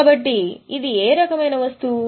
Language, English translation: Telugu, So, it is what type of item